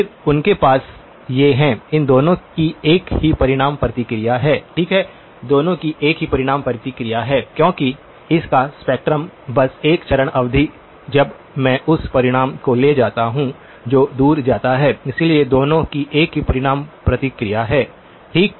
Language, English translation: Hindi, Then, they have these, both of these have the same magnitude response, okay both have the same magnitude response because the spectrum of this is just a e power j, a phase term when I take the magnitude that goes away, so both have the same magnitude response okay